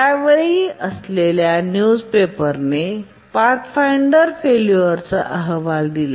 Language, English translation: Marathi, Newspapers at that time, they reported that the Mars Pathfinder is experiencing failures